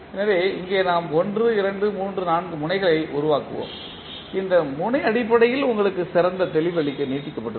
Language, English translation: Tamil, So, here we will 1 2 3 4 terms so we will create 1 2 3 4 nodes now this node is basically being extended to give you better clarity